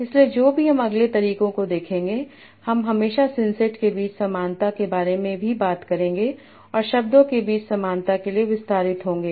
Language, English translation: Hindi, So, in whatever we will see in the next methods, we will also all which talk about similarity between senses and extended for similarity between words